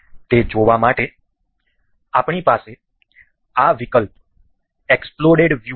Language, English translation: Gujarati, To see that, we have this option exploded view